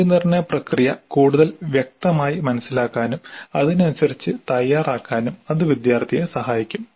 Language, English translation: Malayalam, So that would help the student also to understand the process of assessment more clearly and prepare accordingly